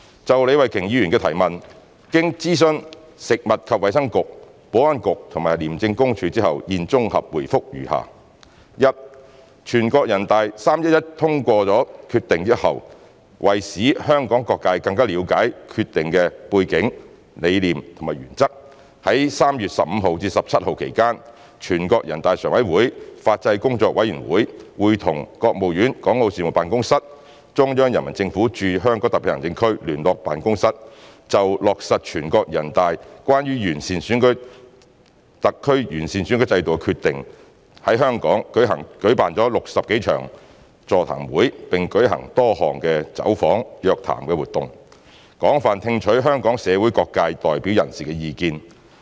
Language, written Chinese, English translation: Cantonese, 就李慧琼議員的質詢，經諮詢食物及衞生局、保安局及廉政公署後，現綜合答覆如下：一全國人大在3月11日通過《決定》後，為使香港各界更了解《決定》的背景、理念和原則，在3月15日至17日期間，全國人大常委會法制工作委員會會同國務院港澳事務辦公室、中央人民政府駐香港特別行政區聯絡辦公室就落實全國人大關於完善香港特別行政區選舉制度的決定，在香港舉辦了60多場座談會並舉行各項走訪、約談等活動，廣泛聽取香港社會各界代表人士的意見。, In consultation with the Food and Health Bureau FHB the Security Bureau and the Independent Commission Against Corruption ICAC our consolidated reply to Ms Starry LEEs question is as follows 1 Following the NPCs passage of the Decision on 11 March the Legislative Affairs Commission of the NPCSC together with the Hong Kong and Macao Affairs Office of the State Council and the Liaison Office of the Central Peoples Government in the HKSAR organized more than 60 seminars and conducted various visits and meetings in Hong Kong on the implementation of the NPCs Decision on the improvement of the electoral system of the HKSAR between 15 and 17 March to enable different sectors in Hong Kong to understand more about the background ideas and principles of the Decision . They have gauged extensively the views of representatives from various sectors of the Hong Kong society